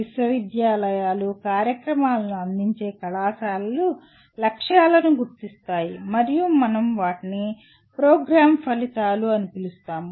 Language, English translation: Telugu, Universities, colleges offering the programs, will identify the “aims” and we are going to call them as “program outcomes”